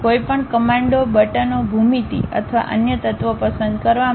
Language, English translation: Gujarati, To select any commands, buttons, geometry or other elements